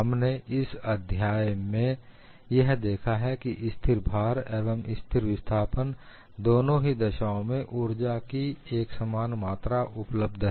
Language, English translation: Hindi, So, what we have seen in this exercise is, the quantum of energy available is same in both the cases of constant load and constant displacement